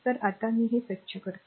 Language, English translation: Marathi, So now let me first ah clean this one , right